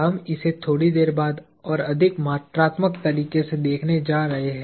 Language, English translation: Hindi, We are going to look at this in a more quantitative way a little later